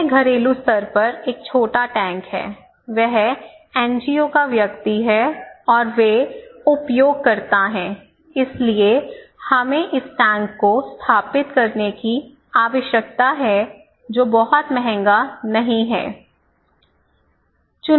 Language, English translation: Hindi, So, this is a small tank at the household level, he is the NGO person, and they are the users so, we need to install this tank which is not very costly, little costly